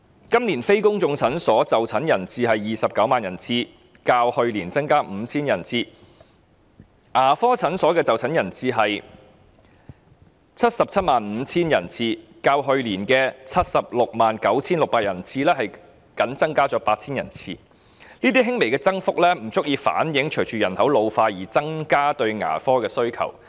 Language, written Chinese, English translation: Cantonese, 今年非公眾診所的就診人次為 290,000 人次，較去年增加 5,000 人次；牙科診所的就診人次為 775,000 人次，較去年 769,600 人次僅增加 8,000 人次，這輕微的預算增幅不足以應付牙科服務需求隨人口老化而出現的增長。, The attendances at non - public clinics this year are 290 000 representing an increase of 5 000 over last years figure . The attendances at dental clinics are 775 000 showing an increase of only 8 000 over last years attendences of 769 600 . This slight increase in the estimate is not sufficient to meet the growing demand for dental services arising from the ageing of population